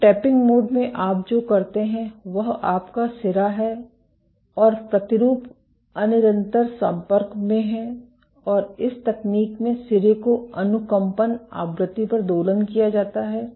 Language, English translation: Hindi, So, in tapping mode what you do is your tip and sample are in intermittent contact and in this technique the tip is oscillated at resonance frequency